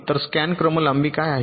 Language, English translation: Marathi, so what is scan sequence length